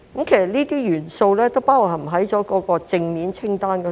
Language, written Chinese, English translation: Cantonese, 這些元素都包含在正面清單中。, All these elements have been included in the positive list